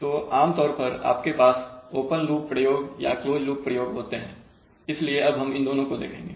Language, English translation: Hindi, So typically you can have either open loop response, open loop experiments or you can have closed loop experiments so we are going to look at these two